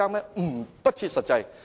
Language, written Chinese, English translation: Cantonese, 這是不設實際的。, This is not practical